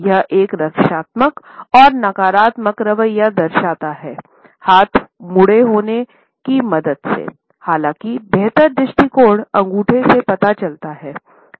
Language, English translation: Hindi, It shows a defensive as well as a negative attitude with the help of the folded arms; however, the superior attitude is revealed by the thumbs